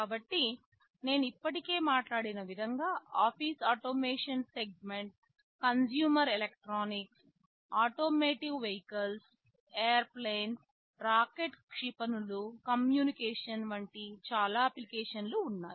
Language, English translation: Telugu, So, there are many applications I already talked about in office automation segment, consumer electronics, automotive, vehicles, airplanes, rockets missiles, communication you will find these devices everywhere